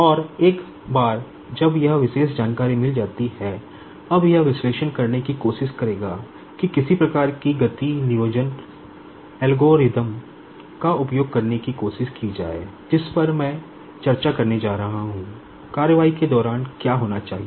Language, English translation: Hindi, And, once it is got that particular information, now it will try to do the analysis try to use some sort of motion planning algorithm, which I am going to discuss, what should be the course of action